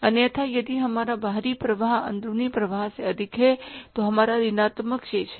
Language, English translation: Hindi, Otherwise if our outflow is more than the inflow ours is the negative balance